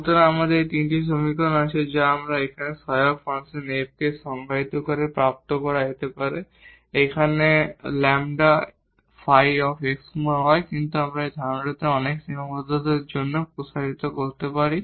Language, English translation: Bengali, So, we have these 3 equations which can be obtained just by defining this auxiliary function here F, do as that you we substitute here this f x y as it is, introduce one lambda and we have just one constraints here